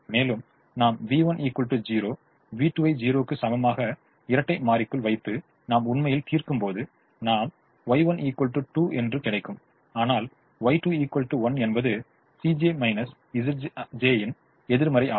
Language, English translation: Tamil, and when we put v one equal to zero, v two equal to zero into the dual and we actually solve, we will get y one equal to two, y two equal to one, negative of the c j minus z j